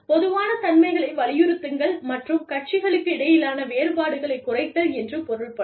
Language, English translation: Tamil, Emphasize, the commonalities, and minimize, the differences between the parties